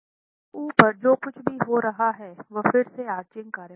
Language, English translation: Hindi, So what's happening above in the above story is again arching action